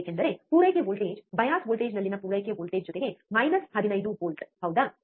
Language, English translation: Kannada, That is because the supply voltage the supply voltage at the bias voltage is plus minus 15 volts right